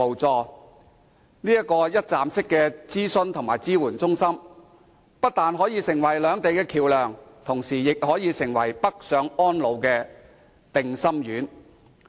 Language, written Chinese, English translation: Cantonese, 這個一站式的諮詢及支援中心不但可成為兩地的橋樑，而且，亦可成為港人北上安老的定心丸。, The one - stop consultation and support centres not only can act as the bridge between the two places but also relieve Hong Kong peoples concerns about retiring in the Mainland